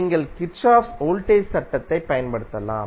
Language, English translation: Tamil, You can apply Kirchhoff voltage law